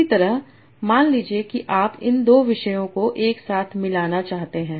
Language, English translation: Hindi, Similarly, suppose you want to blend these two topics together